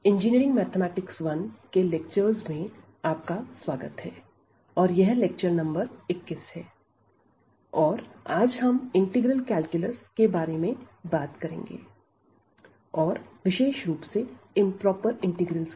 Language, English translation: Hindi, So, welcome to the lectures on Engineering Mathematics – I and this is lecture number 21 and today, we will talk about the integral calculus and in particular Improper Integrals